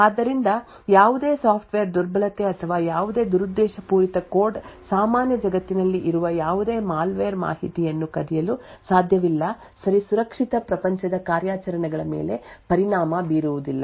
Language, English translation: Kannada, So, thus any software vulnerability or any malicious code any malware present in the normal world cannot steal information ok not affect the secure world operations